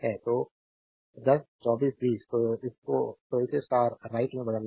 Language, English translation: Hindi, So, 10 24 20; so, you have to convert it to star right